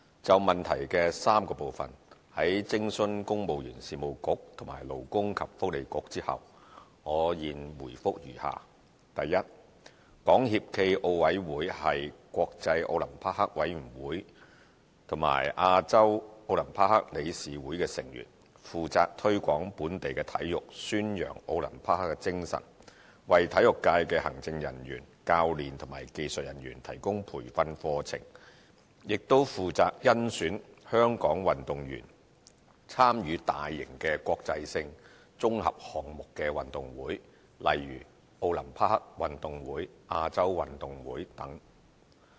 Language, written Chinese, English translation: Cantonese, 就質詢的3個部分，在徵詢公務員事務局和勞工及福利局後，我現回覆如下：一港協暨奧委會是國際奧林匹克委員會和亞洲奧林匹克理事會的成員，負責推廣本地體育，宣揚奧林匹克精神，為體育界的行政人員、教練及技術人員提供培訓課程，亦負責甄選香港運動員參與大型國際性綜合項目運動會，例如奧林匹克運動會、亞洲運動會等。, Having consulted the Civil Service Bureau and the Labour and Welfare Bureau my reply to the three parts of the question is as follows 1 SFOC is a member of the International Olympic Committee and the Olympic Council of Asia . In addition to developing local sports promoting Olympism and providing training programmes to administrative executives coaches and technicians in the sports sector SFOC is responsible for selecting Hong Kong athletes to compete in major international multi - sport events such as the Olympic Games and the Asian Games